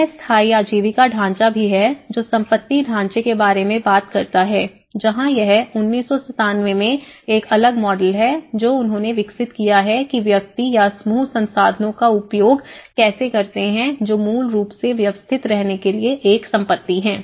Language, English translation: Hindi, There is also sustainable livelihoods framework which talks about the asset framework where it is a different model in 1997, which they have developed how the individuals or a groups access the resources which are basically an assets to organize their livelihoods and how the capacities make them able to act engage and change the world